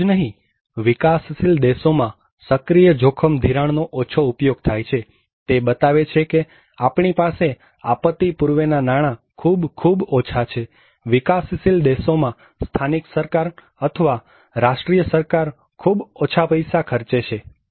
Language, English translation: Gujarati, Not only that, proactive risk financing is less used in developing countries, it is showing that we have very, very less during the pre disaster financing, the local government or the national government in developing countries are spending very little money